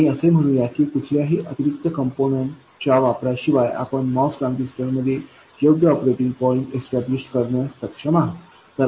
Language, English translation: Marathi, And let's say that somehow we are able to establish the correct operating point in the MOS transistor without any extra component appearing anywhere